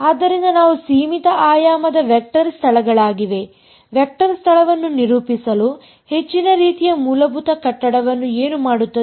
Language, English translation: Kannada, So, these are finite dimensional vector spaces, to characterize vector space, what does the most sort of basic building block